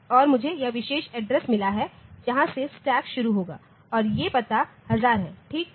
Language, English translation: Hindi, And I have got this particular address from where the stack will start and these address is say 1000, fine